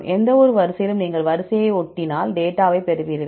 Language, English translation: Tamil, For any sequence, just you paste the sequence and you get the data